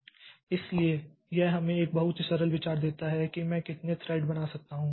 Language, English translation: Hindi, So, this gives us a very simple idea like how can I create a number of threads